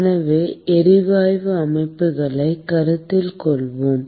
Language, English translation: Tamil, So, let us consider gas systems